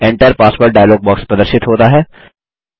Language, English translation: Hindi, The Enter Password dialog box appears